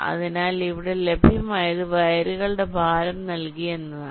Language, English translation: Malayalam, so whatever is available here is that the weights of the wires are given